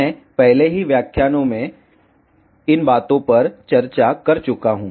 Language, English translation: Hindi, I have already discussed these things in previous lecturer